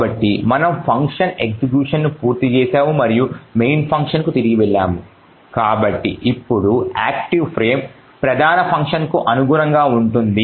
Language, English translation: Telugu, So now we have completed executing execution of that particular function and since we have moved back to the main function, so the active frame now is corresponding to that for the main function